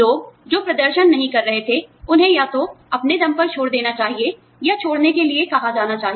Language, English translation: Hindi, People, who were not performing, should either leave on their own, or be, asked to leave